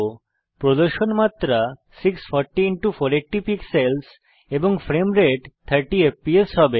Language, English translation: Bengali, The view dimensions will be 640*480 pixels and the frame rate will be 30fps